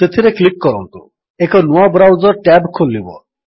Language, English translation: Odia, Click on it A new browser tab opens